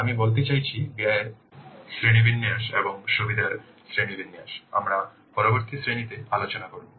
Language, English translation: Bengali, I mean the classification of the cost and the classification of benefits we will discuss in the next class